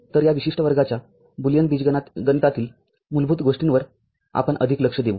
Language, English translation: Marathi, So, we shall look more into the Fundamentals of the Boolean Algebra in this particular class